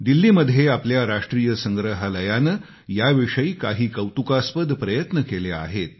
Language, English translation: Marathi, In Delhi, our National museum has made some commendable efforts in this respect